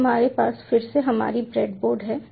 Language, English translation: Hindi, so we take this one now we again have are breadboard